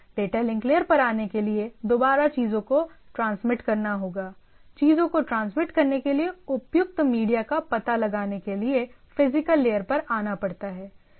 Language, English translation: Hindi, In order to come to the data link layer again transmission the thing, it has to come to the physical layer to find out that appropriate media to transmit the things right